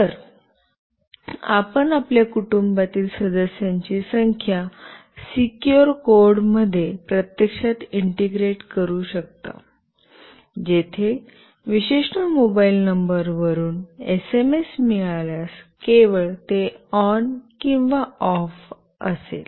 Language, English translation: Marathi, So, you can actually integrate those numbers of your family member in a secure code, where only it will be on or off if the SMS is received from a particular mobile number